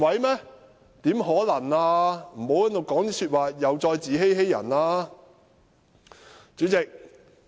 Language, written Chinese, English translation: Cantonese, 請他們不要說這些自欺欺人的話！, Will they please stop saying something to deceive themselves and others!